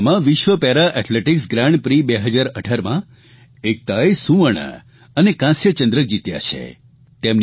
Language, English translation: Gujarati, Ekta has won the gold and bronze medals in World Para Athletics Grand Prix 2018 held in Tunisia